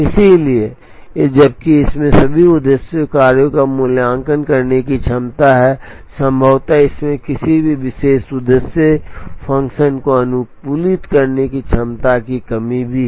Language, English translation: Hindi, Therefore, while it has the ability to evaluate all objective functions, it perhaps also has the lack of ability to optimize a particular objective function